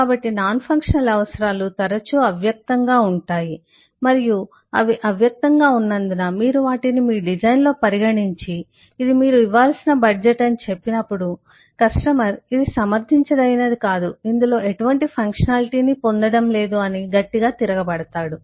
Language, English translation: Telugu, so a non functional requirements are often implicit and since they are implicit, when you will consider them in your design and say, well, this is the budget that you will need to put up, the customer will come back strongly saying that, well, this is this is not justifiable, am not getting any functionality in this